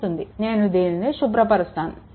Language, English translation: Telugu, Now, I am clearing it right